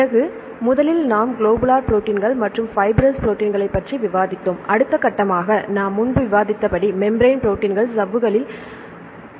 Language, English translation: Tamil, Then; first we discussed about globular proteins and the fibrous proteins and next step the membrane proteins right as you discussed earlier membrane proteins are embedded in membranes